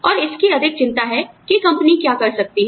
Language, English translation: Hindi, And, more concerned with, what the company can afford